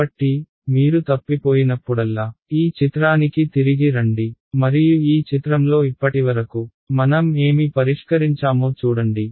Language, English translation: Telugu, So, whenever you get lost come back to this picture and see what have we solved so far in this picture fine alright